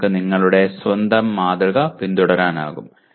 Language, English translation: Malayalam, You can follow your own pattern